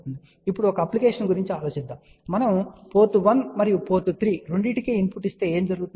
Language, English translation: Telugu, So, now, think about an application, if we give a input at both port 1 as well as port 3 so, what will happen